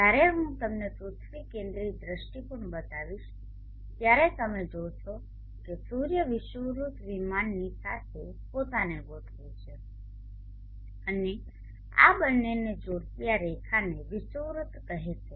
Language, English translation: Gujarati, When I show you the earth centric view point you will see that the sun is allying itself along the equatorial plane and this line joining these two this call the equine aux line